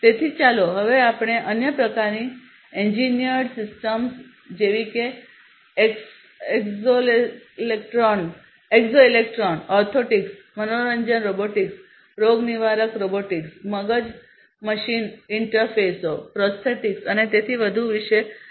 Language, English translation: Gujarati, So, let us now talk about other kinds of engineered systems such as you know exoskeletons, orthotics then you know like entertainment robotics, therapeutic robotics, brain machine interfaces, prosthetics, and so on